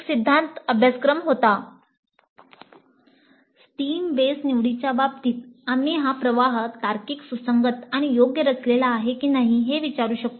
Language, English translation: Marathi, In the case of stream based electives we can ask whether the stream is logically coherent and well structured